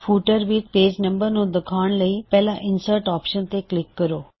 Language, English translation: Punjabi, To display the page number in the footer, we shall first click on the Insert option